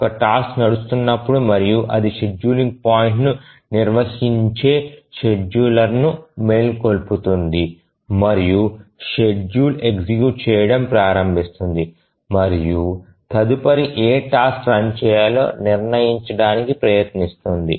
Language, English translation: Telugu, So, whenever a task is running and it completes that wakes up the scheduler, that defines a scheduling point and the scheduler starts running and tries to decide which task to run the next